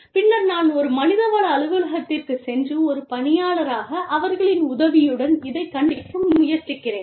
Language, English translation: Tamil, And, then i go to the human resource office, and try to figure this out, with their help, as an employee